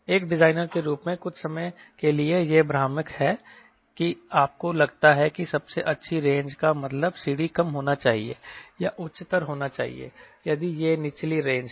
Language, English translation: Hindi, as a designer sometime it is misleading that you think, ok, best range means c d should be lower right or c d should be higher if it is lower range